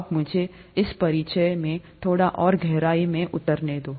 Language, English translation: Hindi, Now let me, get a little deeper in this introduction itself